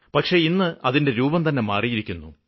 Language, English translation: Malayalam, But today, its form and format has changed